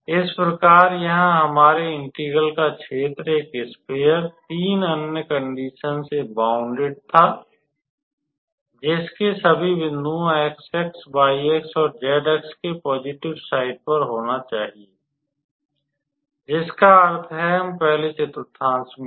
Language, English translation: Hindi, So, here in this case also our given region of integration was this sphere bounded by three other conditions that the all the points should lie on the positive side of x axis, y axis, and z axis that means, we are in the first quadrant